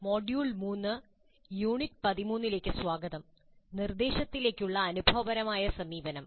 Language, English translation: Malayalam, Greetings, welcome to module 3, Unit 13, Experiential Approach to Instruction